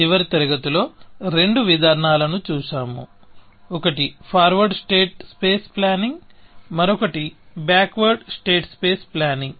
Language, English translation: Telugu, In the last class we saw two approaches; one was a forward state space planning, and the other was backward state space planning